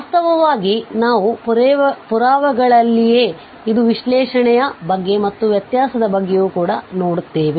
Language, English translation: Kannada, Indeed, we will see in the proof itself, it is not about the analyticity, it is also about the differentiability